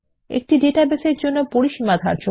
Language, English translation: Bengali, How to define Ranges for database